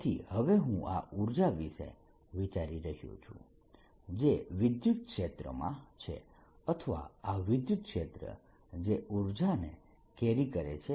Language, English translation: Gujarati, so now i am thinking of this energy being sitting in this electric field or this electric field carrying this energy